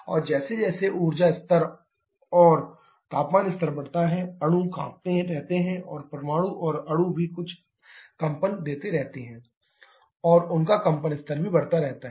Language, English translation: Hindi, And as the energy level and temperature level increases, molecules keep on vibrating and atoms and molecules also give some vibrating and their vibration level also keeps on increasing